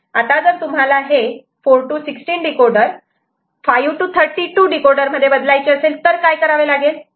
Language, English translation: Marathi, And if you want to make a instead of, you know 4 to 16 decoder say 5 to 32 decoder